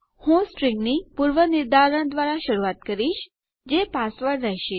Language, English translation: Gujarati, Ill start by predefining a string thats going to be my password